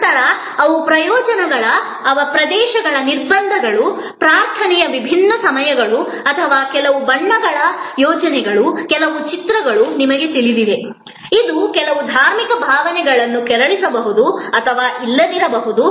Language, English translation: Kannada, Then, they are regions restrictions, different times of prayer or you know the certain colors schemes, certain images, which may or may not may of offend some religious sentiments all these have to be thought off